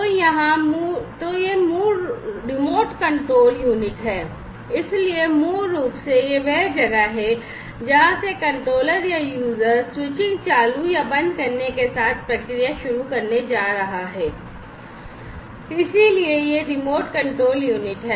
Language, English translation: Hindi, So, this is the remote control unit so, basically this is the place from where the controller or the user is going to start the process with the switching on or, off of any button for instance right so, this is the remote control unit